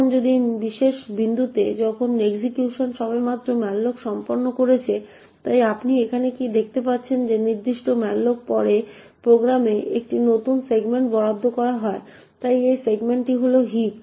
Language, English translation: Bengali, Now at this particular point when the execution has just completed malloc, so what you see over here is that after this particular malloc a new segment gets allocated in the program, so this segment is the heap